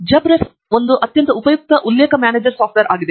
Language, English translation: Kannada, JabRef is a very useful reference manager software